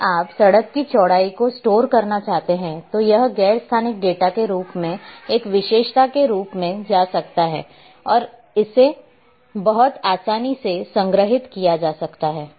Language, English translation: Hindi, If you want to store the width of the road then it can go as a attribute as non spatial data and it can be stored very easily